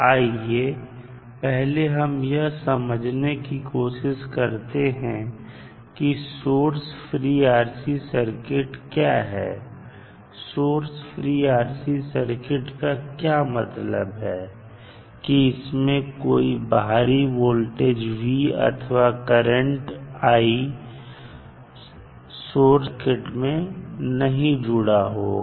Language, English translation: Hindi, So, now first let us try to understand what do you mean by source free RC circuit, source free rc circuit, means we do not have any external voltage or currents source connected to the circuit, so that is why it is source free